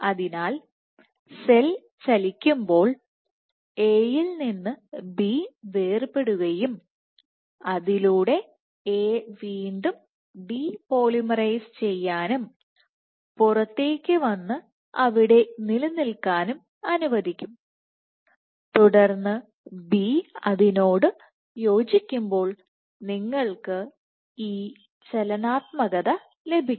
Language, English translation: Malayalam, So, in this way when the cell migrates just decoupling of B from A can allow A to again depolymerize or come off and re engage the outside and then as B connects you can have this dynamic turnover